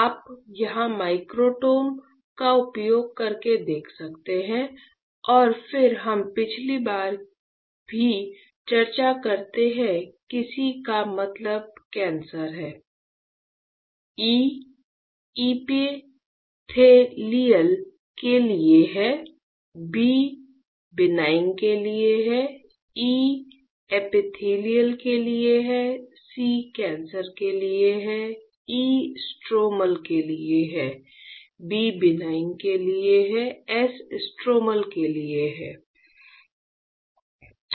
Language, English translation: Hindi, You can see here using microtome and then we also discuss last time that the C stands for cancer, E stands for epithelial, B stands for benign, E stands for epithelial, C stands for cancer, S stands for stromal, B stands for benign, S stands for stromal